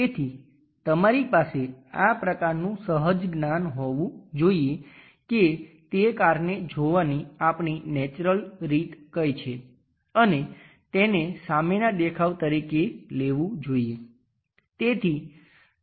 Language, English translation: Gujarati, So, you have to have this kind of intuition what is our natural way of looking at that car and bring that one as the front view